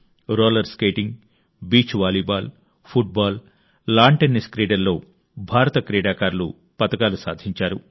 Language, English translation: Telugu, Be it Roller Skating, Beach Volleyball, Football or Lawn Tennis, Indian players won a flurry of medals